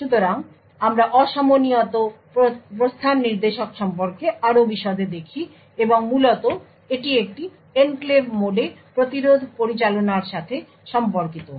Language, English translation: Bengali, So, we look at more detail about the asynchronous exit pointer and essentially this is related to interrupt management in an enclave mode